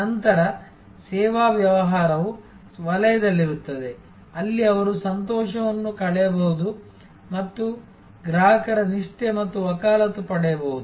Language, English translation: Kannada, Then, the service business will be in the zone, where they can cost delight and gain customer loyalty and advocacy